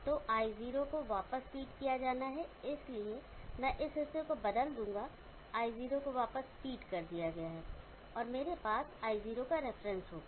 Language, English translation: Hindi, So I0 has to fed back, so I will change this portion, I0 is fed back and I will have an I0 reference